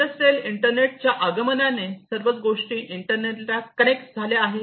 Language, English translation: Marathi, So, with the help of the industrial internet everything will be connected to the internet